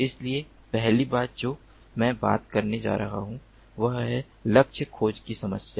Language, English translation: Hindi, so the first thing that i am going to talk about is the problem of target tracking